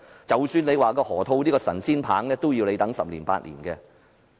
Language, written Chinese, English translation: Cantonese, 即使有河套區這個神仙棒，也要等十年八載才見成效。, Even if we have the magic wand of the Loop the results could only be seen in 8 to 10 years